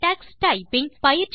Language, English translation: Tamil, What is Tux Typing